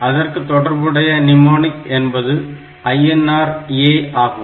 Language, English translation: Tamil, So, and it is corresponding mnemonic is INR A